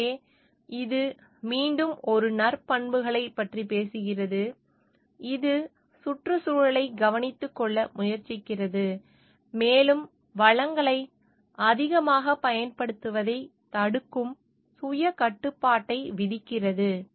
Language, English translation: Tamil, So, this again talks of a virtues character, which like takes tries to take care of the environment, and which imposes self restriction on which restricting from the overuse of resources